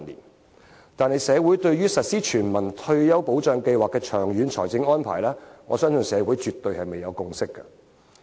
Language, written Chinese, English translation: Cantonese, 但是，我相信社會對於實施全民退休保障計劃的長遠財政安排，卻尚未達致共識。, Yet I believe that our society has yet to reach a consensus on the long - term financial arrangements for the implementation of a universal retirement protection scheme